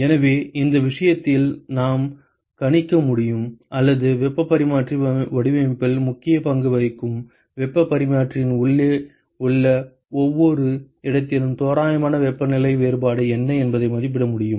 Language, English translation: Tamil, So, in this case we should be able to predict or we should be able to estimate what is the approximate temperature difference at every location inside the heat exchanger that plays an important role in heat exchanger design ok